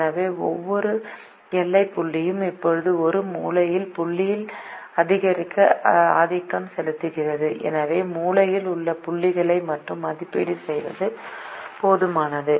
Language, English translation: Tamil, so every boundary point is now dominated by a corner point and therefore it is enough to evaluate only the corner points